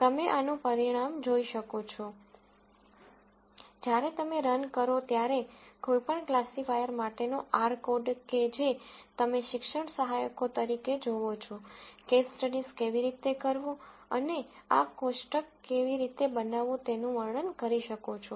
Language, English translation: Gujarati, You will see a result like this, when you run, r code for any of the classifiers that you are going to see as the teaching assistants describe how to do case studies and generate this table